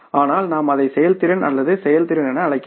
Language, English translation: Tamil, But you can call it as that whether it is effectiveness or efficiency